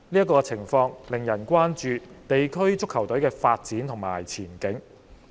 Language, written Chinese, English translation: Cantonese, 該情況令人關注地區足球隊的發展和前景。, This situation has aroused concerns about the development and prospect of district football teams